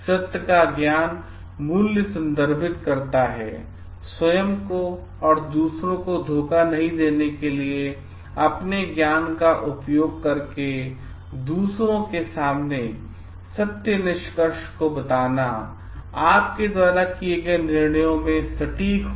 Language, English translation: Hindi, Knowledge value of truth refers to not being deceptive to self and others, using your knowledge to make truthful disclosures to others, being accurate in judgments that you make